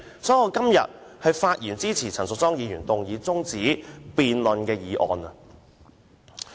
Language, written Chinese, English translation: Cantonese, 所以，我今天發言支持陳淑莊議員動議中止待續的議案。, Therefore I speak in support of Ms Tanya CHANs adjournment motion today